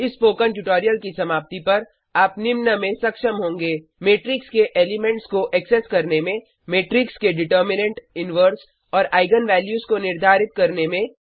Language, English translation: Hindi, At the end of this spoken tutorial, you will be able to: Access the elements of Matrix Determine the determinant, inverse and eigen values of a matrix